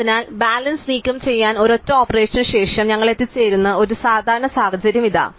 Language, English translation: Malayalam, So, here is a typical situation that we would reach after a single operation which removes the balance